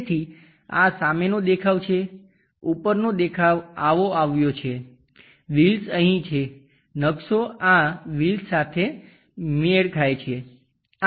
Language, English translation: Gujarati, So, this is the front view, top view would have been such kind of thing having this one wheels are going here, map matched with these wheels